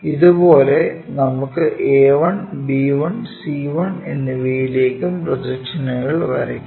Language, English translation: Malayalam, Let us consider this a projection one a 1, b 1, c 1, d 1